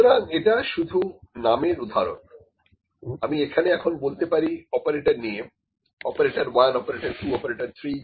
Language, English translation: Bengali, So, this is just the name example, here maybe I can say operator now, operator 1, operator 2, operator 3